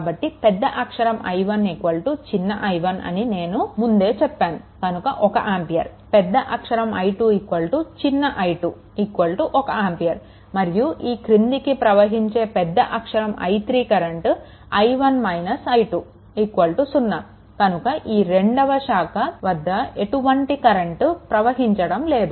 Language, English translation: Telugu, Thus capital I 1 is equal to i 1 and I told you at the beginning it is 1 ampere I 2 is equal to small i 2 is 1 ampere and capital I 3 in the direction is downwards I 1 minus I 2 that is equal to 0; that means, in that second branch there is no current flowing, right